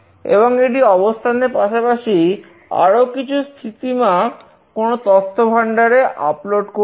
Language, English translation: Bengali, And it will upload both the location along with these other parameters into some database